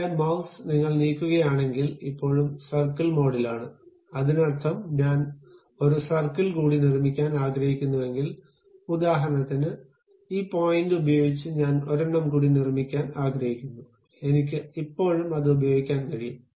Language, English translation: Malayalam, But still your mouse, if you are moving is still in the circle mode, that means, if I would like to construct one more circle, for example, using this point I would like to construct one more, I can still use it